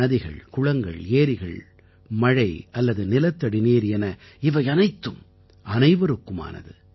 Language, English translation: Tamil, River, lake, pond or ground water all of these are for everyone